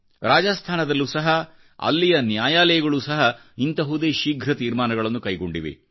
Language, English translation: Kannada, Courts in Rajasthan have also taken similar quick decisions